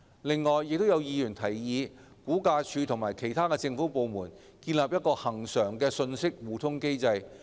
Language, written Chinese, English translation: Cantonese, 此外，亦有議員提議估價署與其他政府部門建立一個恆常的信息互通機制。, Besides some Members also proposed RVD to establish a regular information exchange mechanism with other government departments